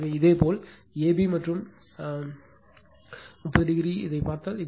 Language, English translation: Tamil, So, ab and an, if you look ab and an 30 degree